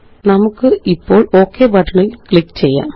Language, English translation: Malayalam, Let us click on the Ok button now